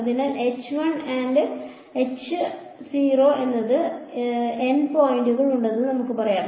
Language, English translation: Malayalam, So, let us say I have n points x 1 through x n right